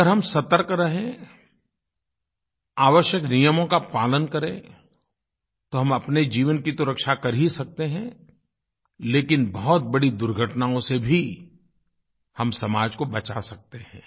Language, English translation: Hindi, If we stay alert, abide by the prescribed rules & regulations, we shall not only be able to save our own lives but we can prevent catastrophes harming society